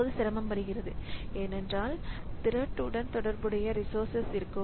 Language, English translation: Tamil, Now, difficulty comes because there will be resources associated with the thread